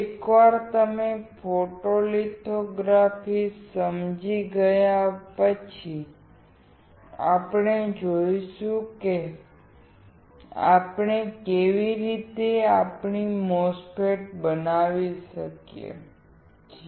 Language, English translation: Gujarati, Once you understand photolithography we will see how we can fabricate our MOSFET